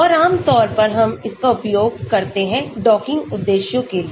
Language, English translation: Hindi, And generally we use that for docking purposes